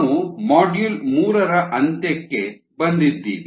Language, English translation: Kannada, we are towards the end of module three